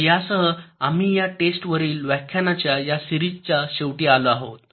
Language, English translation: Marathi, ok, so with this we come to the end of this series of lectures on testing